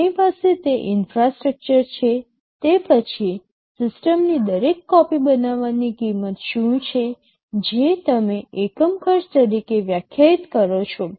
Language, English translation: Gujarati, After we have that infrastructure, what is the cost of manufacturing every copy of the system, which you define as the unit cost